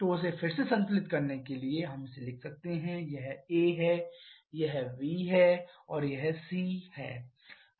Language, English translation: Hindi, So, to balance this again let us write this as a bar this is b bar and this is c bar